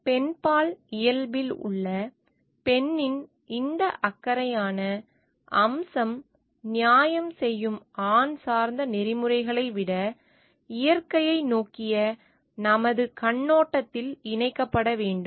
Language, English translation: Tamil, This caring aspect of the female part has this feminine nature needs to be incorporated in our outlook towards nature rather than from the more male oriented ethics of doing justice